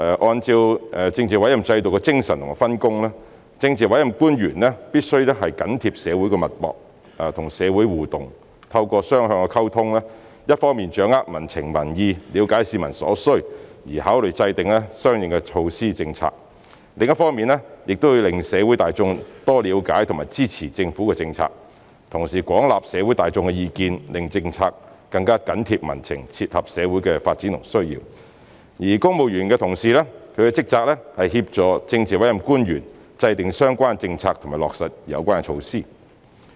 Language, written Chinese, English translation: Cantonese, 按政治委任制度的精神和分工，政治委任官員必須緊貼社會脈搏、與社會互動，透過雙向溝通，一方面掌握民情民意，了解市民所需，從而考慮制訂相應措施和政策，另一方面讓社會大眾多了解和支持政府的政策，同時廣納社會大眾的意見，令政策更緊貼民情，切合社會的發展和需要；而公務員同事的職責是協助政治委任官員制訂相關政策及落實有關措施。, According to the essence of the political appointment system and the division of duties and responsibilities politically appointed officials must keep their fingers on the pulse of society and interact with the community . Through two - way communication they should on the one hand grasp the sentiment and opinions of the public understand public needs and thereby considering the formulation of corresponding measures and policies and on the other hand enable the public to better understand and support government policies while gauging a wide spectrum of public views so as to keep government policies close to the community and meet the development and needs of society; whereas the civil service is responsible for assisting politically appointed officials in formulating relevant policies and implementing relevant measures